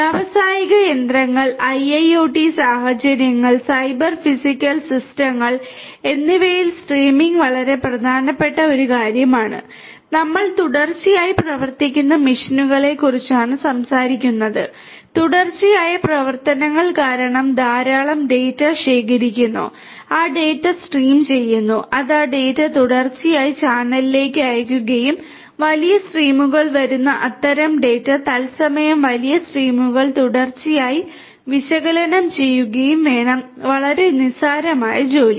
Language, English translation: Malayalam, Streaming is a very important thing in industrial machinery, IIoT scenarios, Cyber Physical Systems we are talking about machines which run continuously; which because of the continuous operations collect lot of data, stream those data, stream those data that will send those data continuously over the channel and such kind of data coming in huge streams, large streams continuously in real time will have to be analyzed and that is not a very trivial task